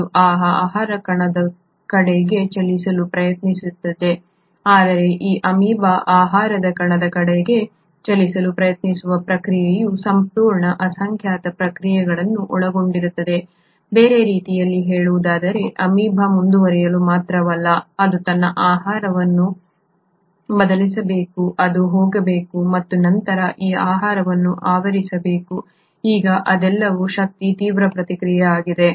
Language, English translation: Kannada, It will try to move towards that food particle but the process of this amoeba trying to move towards food particle involves a whole myriad of processes; in other words not only does the amoeba to move forward, it has to change its shape, it has to go and then engulf this food; now all this is a energy intensive process